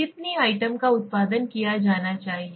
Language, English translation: Hindi, How many items should be generated